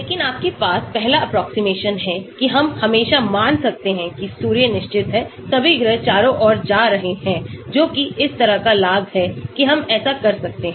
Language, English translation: Hindi, But you have the first approximation we can always assume Sun is fixed, all the planets are going around that is the advantage like that we can do that